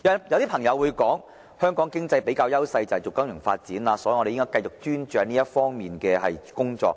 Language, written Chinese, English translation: Cantonese, 有些朋友會說，香港經濟的比較優勢是金融發展，所以我們應繼續專注這方面的工作。, Some may suggest that Hong Kong should focus on the development of the financial industry as we have stronger edges in this area